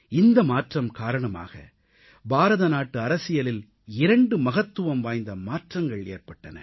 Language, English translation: Tamil, This change brought about two important changes in India's politics